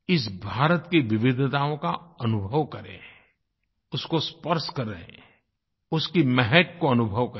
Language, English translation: Hindi, We should feel India's diversity, touch it, feel its fragrance